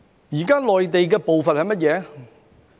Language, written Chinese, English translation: Cantonese, 現時內地的步伐是甚麼呢？, What is the pace of the Mainland at present?